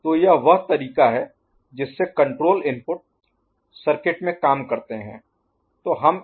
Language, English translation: Hindi, So, this is the way the control inputs play into the circuit